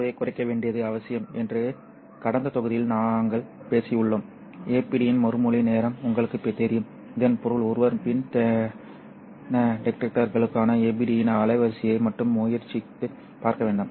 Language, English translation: Tamil, And we have talked about it in the last module saying that it is necessary to reduce this life, you know, the response time of the APD, which means that one has to try and make the bandwidth of the not just the APD for both pin detectors as well as the APD detectors